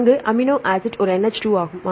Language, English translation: Tamil, The amino acid side there is a NH2 right